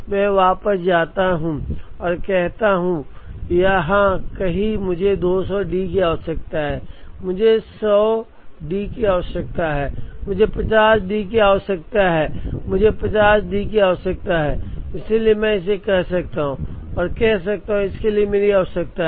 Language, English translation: Hindi, I go back and say, somewhere here I need 200 D, I need 100 D, I need 50 D and I need 50 D, so I can sum it up and say, this is my requirement for this